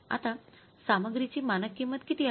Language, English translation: Marathi, So now what is the standard cost of material